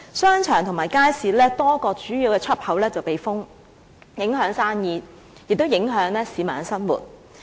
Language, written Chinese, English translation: Cantonese, 商場和街市的多個主要出入口被封閉，影響生意，亦影響市民的生活。, A number of main entrances at the plaza and the market were closed so business and the daily lives of the public were affected